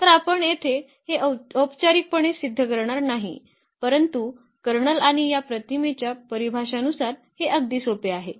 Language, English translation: Marathi, So, we are not going to formally prove this here, but this is very simple as per the definition of the kernel and this image